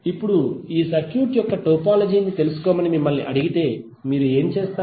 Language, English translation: Telugu, Now if you are ask to find out the topology of this circuit, what you will do